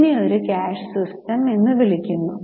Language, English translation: Malayalam, This is called as a cash system of accounting